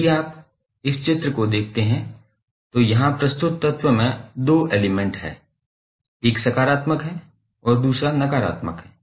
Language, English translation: Hindi, So, that is simply if you see this figure the element is represented here and now you have two terminals; one is positive another is negative